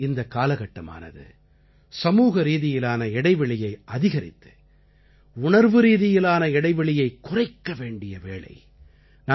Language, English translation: Tamil, In a way, this time teaches us to reduce emotional distance and increase social distance